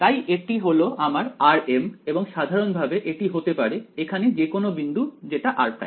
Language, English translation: Bengali, So, this is my r m and in general this could be some point over here which is r prime ok